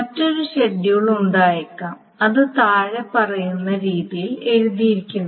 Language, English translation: Malayalam, Now there may be another schedule that is written in the following manner